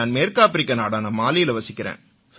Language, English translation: Tamil, I am from Mali, a country in West Africa